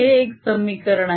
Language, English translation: Marathi, that's one equation